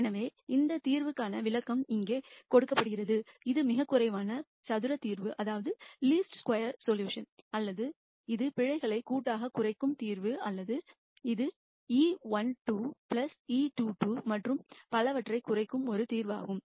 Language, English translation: Tamil, So, interpretation for this solution here is that; this is the least square solution or this is the solution that will minimize the errors collectively or this is a solution that will minimize e 1 squared plus e 2 square and so on